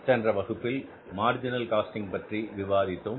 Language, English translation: Tamil, So, we are learning about the marginal costing